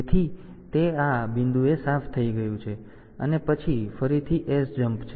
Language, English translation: Gujarati, So, that is cleared at this point, and then SJMP again